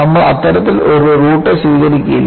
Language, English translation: Malayalam, We will not take that kind of a route